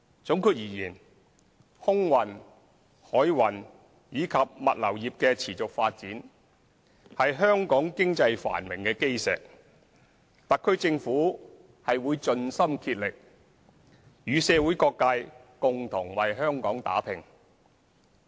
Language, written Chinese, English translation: Cantonese, 總括而言，空運、海運及物流業的持續發展是香港經濟繁榮的基石，特區政府會盡心竭力與社會各界共同為香港打拼。, To sum up the sustained development of the air transport maritime and logistics industries is the cornerstone of Hong Kongs economic prosperity . The SAR Government will spare no effort to work with all sectors of society for Hong Kong